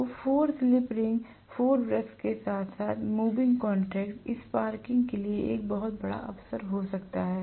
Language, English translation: Hindi, So, 4 slip rings, 4 brushes along with that, you know moving contact, there can be a huge opportunity for sparking